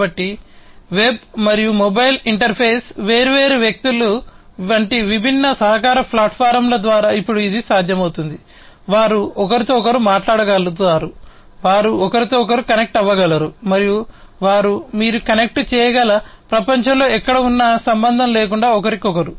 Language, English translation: Telugu, So, now it is possible through different collaborative platforms, such as web and mobile interface different people, they would be able to talk to one another they can remain connected to one another and irrespective of where they are located in the world they you can connect to one another